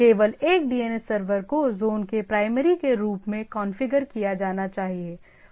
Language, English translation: Hindi, Only one DNS server should be configured as primary of a zone